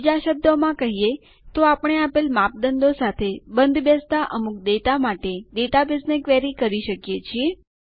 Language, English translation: Gujarati, In other words, we can query the database for some data that matches a given criteria